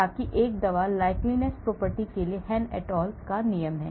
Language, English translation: Hindi, so that is the Hann et al rule for a drug likeness property